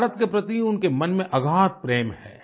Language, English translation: Hindi, He has deep seated love for India